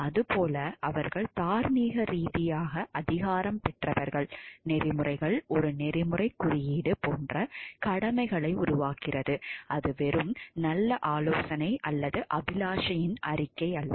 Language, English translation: Tamil, As such, they are morally authoritative, the code itself generates obligations a code of ethics is such not merely good advice or a statement of a aspiration